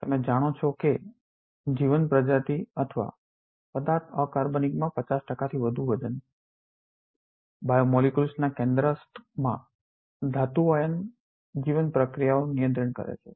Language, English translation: Gujarati, As you may know by weight more than 50 percent of living species or matter is inorganic, metal ion at the core of biomolecules controls many key life processes